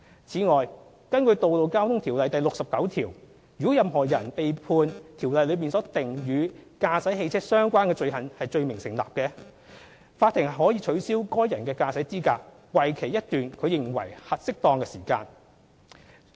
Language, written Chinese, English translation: Cantonese, 此外，根據《條例》第69條，如果任何人被判《條例》所訂與駕駛汽車相關的罪行罪名成立，法庭可取消該人的駕駛資格為期一段其認為適當的期間。, Under section 69 of RTO a court may order a person convicted of any offence under RTO in connection with the driving of a motor vehicle to be disqualified to drive for such period as the court thinks fit